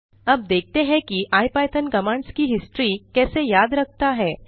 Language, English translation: Hindi, Now lets see how the ipython remembers the history of commands